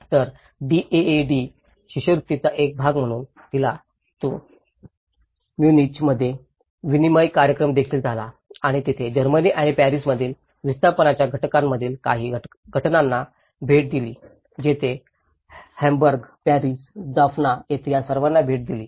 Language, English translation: Marathi, So, as a part of the DAAD scholarship, she also got an exchange program in Tu Munich and she have visited some of the cases of the displacement cases in the Germany as well and Paris and where she visited all these in Hamburg, Paris, Jaffna